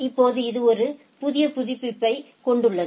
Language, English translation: Tamil, And now it has a new update right